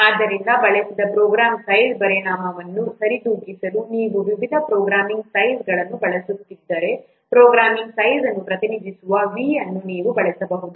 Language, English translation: Kannada, So, if you are using different programming languages in order to compensate the effect of the programming language used, you can use for V which represents the size of the program